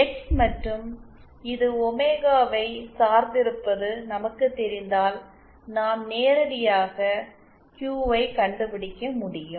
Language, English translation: Tamil, If we know the X and its dependence on omega, we can directly find out the QU